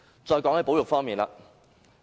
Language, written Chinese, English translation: Cantonese, 再談談保育方面。, Now I will talk about conservation